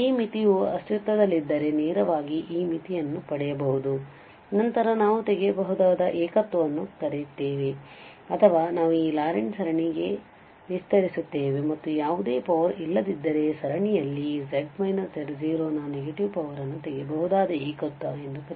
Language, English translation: Kannada, So, either the direct we can get using this limit if this limit exist then we also call removable singularity or we will expand into this Laurent series and if there is no power the negative power of z minus z0 in the series then we call that this is a removable singularity